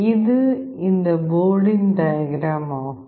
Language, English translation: Tamil, This is the diagram of this board